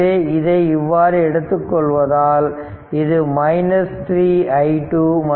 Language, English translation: Tamil, So, if this is 3